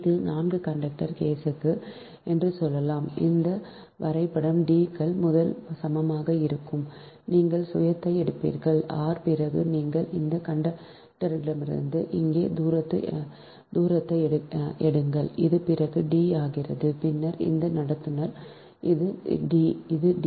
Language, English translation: Tamil, so, from any conductor right ah, say d s, this is for four conductor case, and this diagram d s is equal to: first, you will take the self one r dash, then you take the distance from this conductor to here, it will be d, then this conductor two to here, it will be d, and then this conductor to that